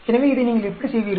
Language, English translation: Tamil, So, how do you do this